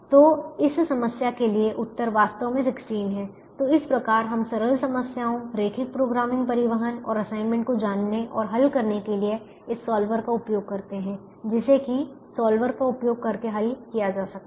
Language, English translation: Hindi, so this is how we use this solver: the solve and learnt simple problems linear programming, transportation and assignment that can be solved using the solver